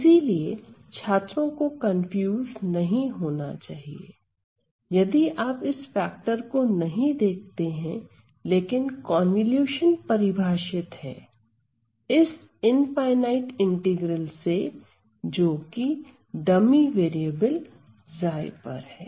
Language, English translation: Hindi, So, the students should not be confused if you do not see this factor around, but the convolution is defined as this infinite integral which is the integral over this dummy variable ok